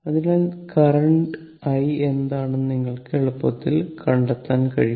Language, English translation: Malayalam, So, you can easily find out what is the current i